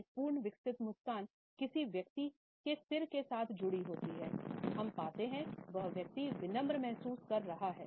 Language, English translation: Hindi, In a full blown smile, if it is accompanied by a person’s head going slightly in we find that the person is feeling rather humble